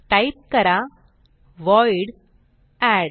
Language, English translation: Marathi, So type void add